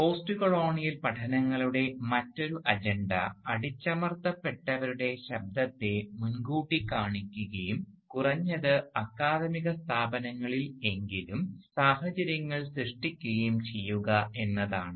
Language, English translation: Malayalam, The other agenda of postcolonial studies has been to foreground the voice of the oppressed and to create conditions, at least within the academic institutions, so that the people subjugated by colonialism can be heard